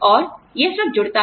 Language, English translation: Hindi, And, it all adds up